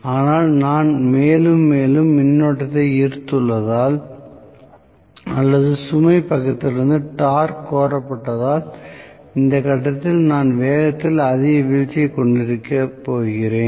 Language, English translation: Tamil, But as I have more and more current drawn, or the torque demanded from the load side, I am going to have at this point so much of drop in the speed